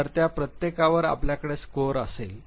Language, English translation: Marathi, So, on each of them you would have a score